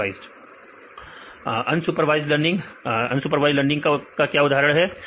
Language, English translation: Hindi, Unsupervised learning; what is a example for supervised learning